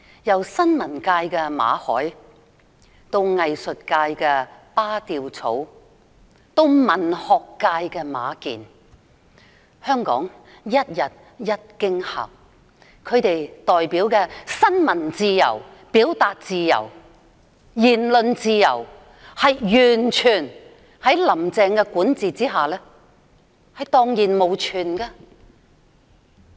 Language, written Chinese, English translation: Cantonese, 由新聞界的馬凱，藝術界的巴丟草，到文學界的馬建，香港是一天一驚嚇，其代表的新聞自由、表達自由、言論自由，在"林鄭"的管治下完全蕩然無存。, The news of journalist Victor MALLET artist Badiucao and writer MA Jian has shocked Hong Kong over the past few weeks telling us that freedom of the press freedom of expression and freedom of speech are all gone under the governance of Carrie LAM